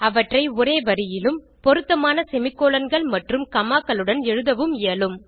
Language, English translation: Tamil, They can also be written in a single line with proper semicolons and commas